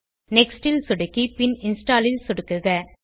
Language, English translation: Tamil, Click on Next and then Install